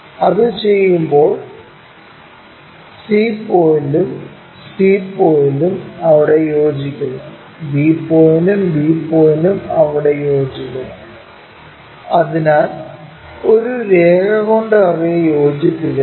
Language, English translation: Malayalam, When we do that c point and c point coincides there, b point and our b point coincides there, so join by a line